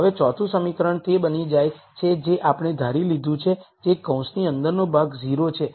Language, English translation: Gujarati, Now the fth equation becomes the one which we have assumed which is the term inside the bracket is 0